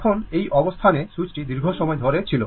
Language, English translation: Bengali, So now, switch is closed for long time